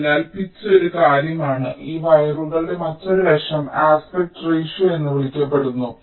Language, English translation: Malayalam, ok, so pitch is one thing and another aspect of this wires is something called the aspect ratio